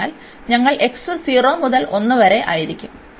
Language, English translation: Malayalam, So, here we have x and x minus 1 is equal to 0